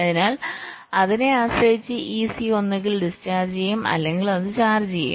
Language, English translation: Malayalam, so, depending on that, this c will be either discharging or it will be charging